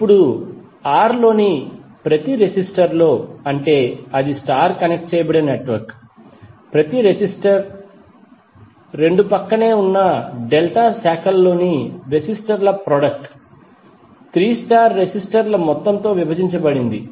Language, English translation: Telugu, Now in each resistor in R, where that is the star connected network, the each resistor is the product of the resistors in 2 adjacent delta branches divided by some of the 3 star resistors